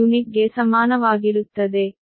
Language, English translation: Kannada, u is equal to z p u